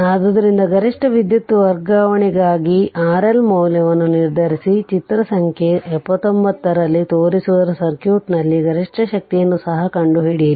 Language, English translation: Kannada, So, determine the value of R L for maximum power transfer, in the circuit shown in figure 79 also find the maximum power